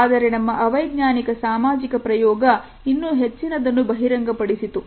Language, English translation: Kannada, But our unscientific social experiment revealed something more